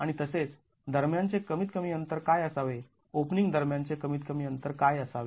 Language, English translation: Marathi, And also what should be the minimum distances between, what should be the minimum distances between openings